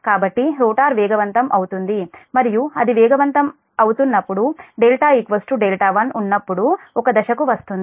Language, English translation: Telugu, so rotor will start accelerating and when it is accelerating it will come to a point when delta is equal to delta one